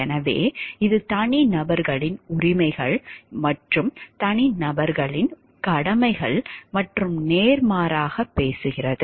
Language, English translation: Tamil, So, as it is talking of the individuals rights and individuals duties and vice versa